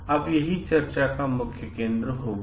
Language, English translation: Hindi, This will be the main focus of discussion now